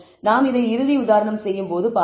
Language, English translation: Tamil, So, let us actually when we do a final example we will see this